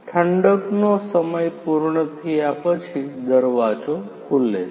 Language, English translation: Gujarati, The door opens after the cooling time is completed